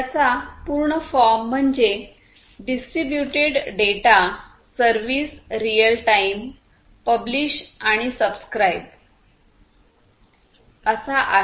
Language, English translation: Marathi, So, the full form of this thing is Distributed Data Service Real Time Publish and Subscribe; again we are talking about publish/subscribe